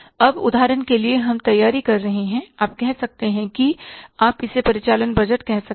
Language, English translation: Hindi, Now, for example, we are preparing a, you can say you can call it as the operating budget